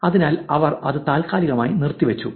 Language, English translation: Malayalam, Therefore, they suspended it